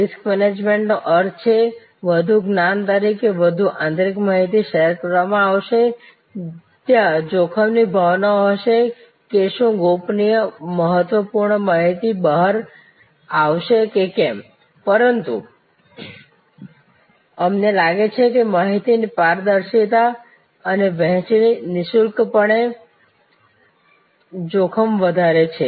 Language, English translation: Gujarati, Risk management means; obviously, as more knowledge, more internal information will be shared there will be a sense of risk that whether confidential information, whether critical information will leak out, but we find that the transparency and the sharing of information, no doubt increases the risk